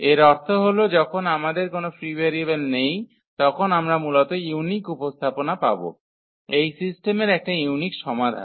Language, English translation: Bengali, Meaning when we do not have a free variable we will get basically the unique representation, the unique solution of this system